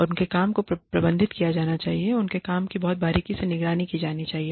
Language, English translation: Hindi, And, their work should be, managed their work should be, monitored, very, very, closely